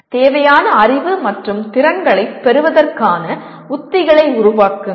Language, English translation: Tamil, Develop strategies to acquire the required knowledge and skills